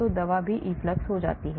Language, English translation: Hindi, so the drug also gets effluxed